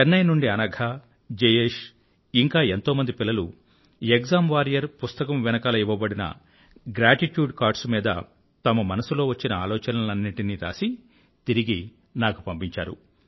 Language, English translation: Telugu, Anagha, Jayesh and many other children from Chennai have written & posted to me their heartfelt thoughts on the gratitude cards, the post script to the book 'Exam Warriors'